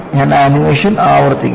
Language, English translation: Malayalam, I will repeat the animation